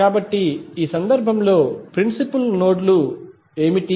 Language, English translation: Telugu, So, what are the principal nodes in this case